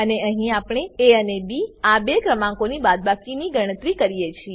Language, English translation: Gujarati, And here we calculate the difference of two numbers a and b